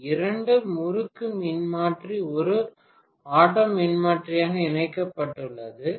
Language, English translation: Tamil, How to connect two wind transformer as an auto transformer